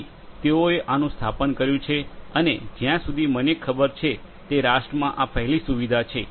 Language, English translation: Gujarati, So, they have done this installation and this is as far as I know of this is the first such facility in the nation